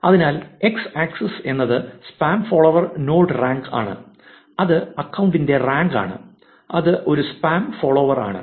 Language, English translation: Malayalam, So, here is a graph which has on x axis spam follower node rank which is what is the probability that spam followers are the accounts which actually follow spam